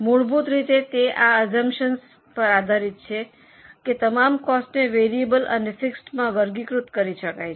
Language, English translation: Gujarati, Of course, fundamentally it is based on the assumption that all costs can be classified into variable and fixed